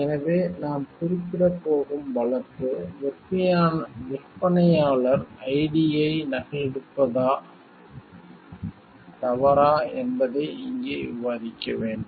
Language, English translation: Tamil, So, the case we are going to refer to is like, we have to discuss over here is it wrong to copy vendors ID